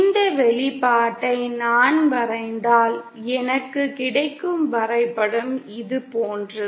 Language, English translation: Tamil, If I plot this expression, the kind of graph that I get is like this